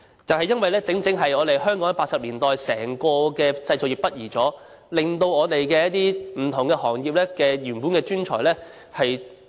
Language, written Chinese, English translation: Cantonese, 正是因為香港1980年代整體製造業北移，令不同的行業的一些專才轉行了。, Because of the northward shift of our manufacturing industries in the 1980s skilled workers in various industries have had to change their occupations